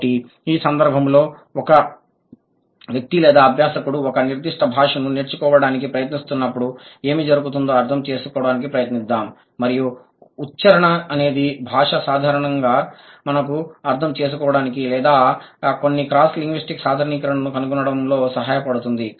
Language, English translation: Telugu, So, in this connection, let's try to understand what happens when a person or like when a learner is trying to learn a particular language and whether accent as a linguistic tool does it help us to understand or to find out some cross linguistic generalization